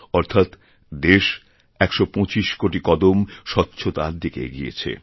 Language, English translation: Bengali, This means that the country has taken 125 crore steps in the direction of achieving cleanliness